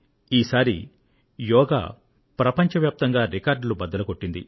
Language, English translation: Telugu, Yoga has created a world record again this time also